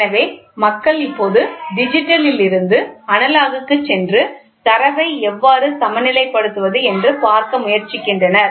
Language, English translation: Tamil, So, people are trying to go back from digital to analogous now and see how to balance the data